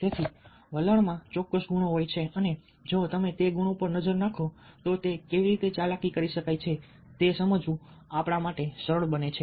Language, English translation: Gujarati, so attitudes have certain qualities and if you look at those qualities, it becomes easy for us to understand how they can be manipulated